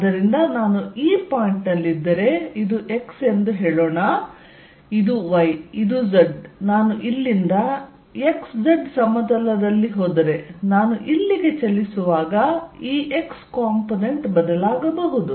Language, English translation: Kannada, So, if I am at this point let us say this is x, this is y, this is z if I go from here in the x z plane, the E x component may changes as I move here